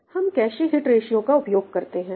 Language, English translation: Hindi, We use something called a cache hit ratio